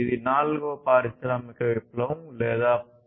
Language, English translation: Telugu, And this is this fourth industrial revolution or the Industry 4